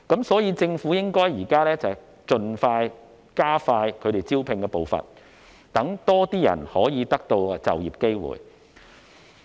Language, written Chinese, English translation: Cantonese, 所以，政府現在應該加快招聘的步伐，讓更多人可以得到就業機會。, As such the Government should now speed up the pace of recruitment so that more people can be given an employment opportunity